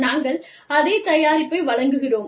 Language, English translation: Tamil, We have we are offering, the same product